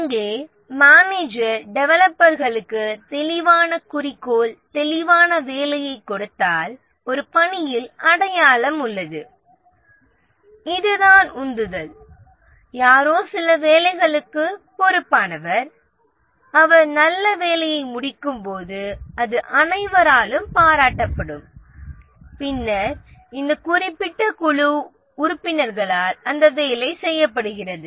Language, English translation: Tamil, Here if the manager gives clear objective, clear work to the developers, then there is a task identity and this is a motivator that somebody is responsible for some work and as he completes does a good work, it will be appreciated that this specific work is done by certain team member